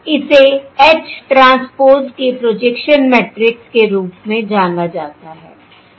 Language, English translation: Hindi, This is known as the projection matrix of H transpose